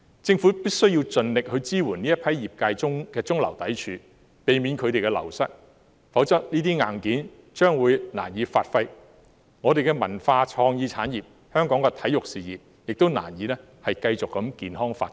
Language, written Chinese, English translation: Cantonese, 政府必須盡力支援這批業界的中流砥柱，避免他們流失，否則這些硬件將會難以發揮，我們的文化創意產業和香港的體育事業亦會難以繼續健康發展。, The Government must do its best to support these people who are the mainstay of the industries to prevent wastage . Otherwise it will be difficult for the hardware to give play to its functions . It will also be hard for our cultural and creative industries and sports to continue to develop healthily in Hong Kong